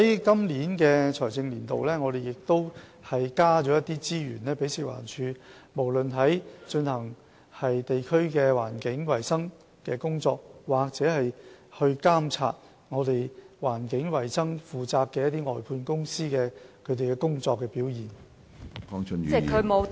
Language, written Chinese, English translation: Cantonese, 在本財政年度，我們亦增加資源給食環署，以便從事地區的環境衞生工作，或監察負責環境衞生的外判公司的工作表現。, In the current financial year we will allocate additional resources to FEHD to take up the tasks related to district environmental hygiene or to monitor the performance of contractors responsible for environmental hygiene